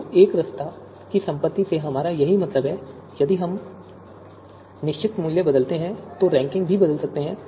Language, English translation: Hindi, So that is what we mean by property of monotonicity that if we change you know a certain value, then the ranking might change